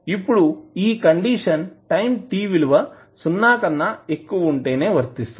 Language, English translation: Telugu, Now, this condition is valid only for time t greater than 0